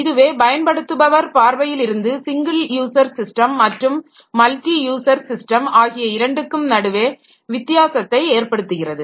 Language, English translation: Tamil, So, there that makes the difference between a single user system and a multi user system from users perspective